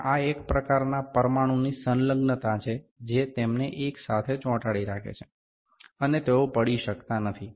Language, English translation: Gujarati, And this is the kind of a molecular adhesion that makes them stick together, you know this is not falling